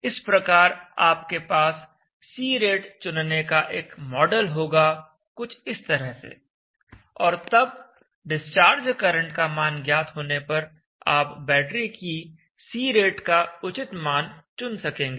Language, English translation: Hindi, so you will have model power c rate choice something like this and then knowing the value of the discharge current, you can appropriately choose the C rate for the battery